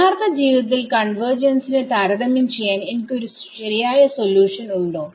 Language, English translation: Malayalam, In real life do I actually have a true solution to compare the convergence with